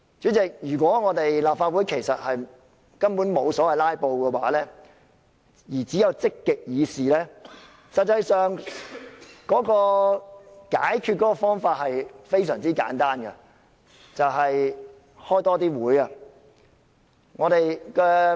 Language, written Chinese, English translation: Cantonese, 主席，如果立法會根本沒有所謂"拉布"而只有積極議事，解決方法其實非常簡單，便是召開更多會議。, President if there are no filibusters but only proactive debates in the Legislative Council the solution will be extremely simple increase the number of meetings